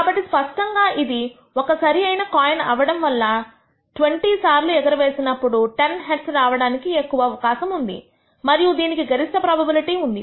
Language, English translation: Telugu, So, clearly since it is a fair coin, we should expect that out of the 20 tosses, 10 heads are most likely to be obtained and this has the highest probability